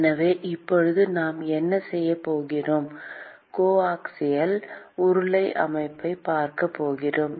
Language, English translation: Tamil, So, now, what we are going to do is, we are going to look at the coaxial cylindrical system